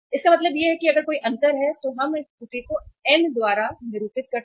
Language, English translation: Hindi, It means if there is a difference let us denote this error by N